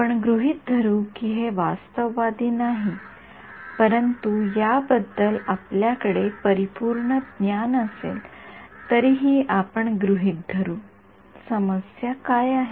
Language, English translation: Marathi, Let us assume it is not realistic, but let us assume even if we had perfect knowledge of view what is the problem